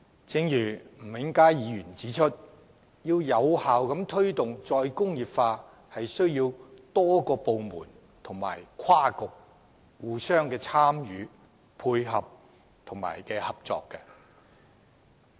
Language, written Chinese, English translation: Cantonese, 正如吳永嘉議員指出，要有效推動"再工業化"，是需要多個部門及跨局參與、配合和合作的。, As remarked by Mr Jimmy NG the participation collaboration and cooperation of different departments and bureaux are necessary for the effective promotion of re - industrialization